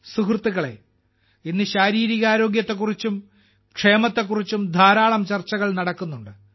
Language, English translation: Malayalam, Friends, today there is a lot of discussion about physical health and wellbeing, but another important aspect related to it is that of mental health